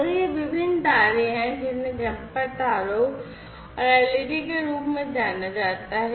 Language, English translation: Hindi, So, these were these different wires these are known as the jumper wires and the led